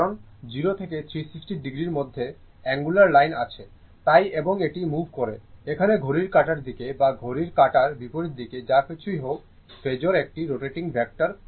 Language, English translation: Bengali, Because angular line between 0 and a 360 degree so, and it is moving your either here we are taking anticlockwise either clockwise or anticlockwise what isoever the phasor is a rotating vector right